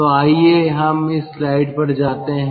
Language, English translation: Hindi, so let us go to this slide